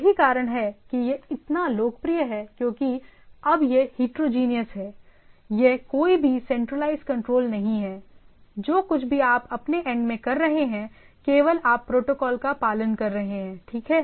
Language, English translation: Hindi, Which that is why it is so popular because now it is heterogeneous, it is what we say no centralized control per say, whatever you are doing at your end, only you are following the protocols, right